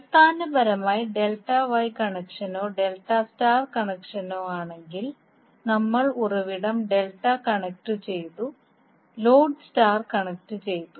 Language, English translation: Malayalam, So basically, in case of Delta Wye connection or Delta Star connection, we have source delta connected and the load star connected